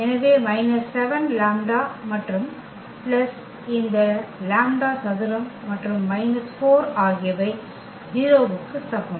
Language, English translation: Tamil, So, minus 7 lambda and plus this lambda square and minus 4 is equal to 0